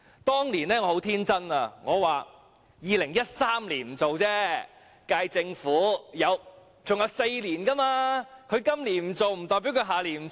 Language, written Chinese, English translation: Cantonese, "當年我很天真，我想 ：2013 年不做，但現屆政府還有4年，他今年不做不代表他下年不做。, End of quote I was so naïve back then . I thought it would not be done in 2013 but there were four more years of the current - term Government . Him not doing it this year did not mean he would not do so next year